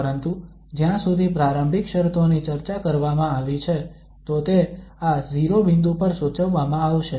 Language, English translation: Gujarati, But as far as the initial conditions are discussed, so they will be prescribed at this 0 point